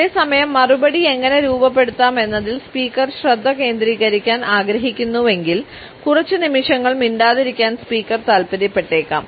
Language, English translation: Malayalam, At the same time if the speaker wants to focus on how to frame the reply, the speaker may also prefer to remain silent for a couple of seconds